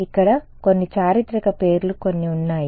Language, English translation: Telugu, So, few names a few historical name over here